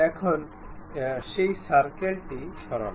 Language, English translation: Bengali, Now, remove that circle, ok